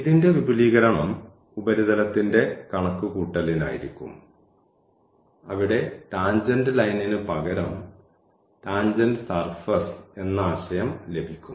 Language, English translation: Malayalam, The extension of this we will have for the computation of the surface where instead of the tangent line we will have the concept of the tangent plane